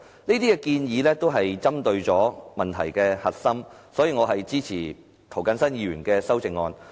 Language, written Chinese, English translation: Cantonese, 這些建議都是針對問題的核心，所以我支持涂謹申議員的修正案。, All of these proposals are targeting the core of the problem . For that reason I support Mr James TOs amendment